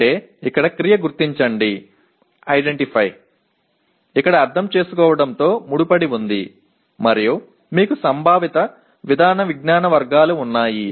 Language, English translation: Telugu, That means identify verb, here is associated with Understand and you have Conceptual, Procedural Knowledge Categories